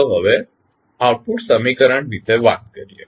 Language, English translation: Gujarati, Now, let us talk about the output equation